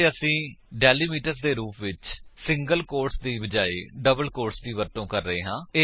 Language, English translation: Punjabi, And we are using double quotes instead of single quotes as delimiters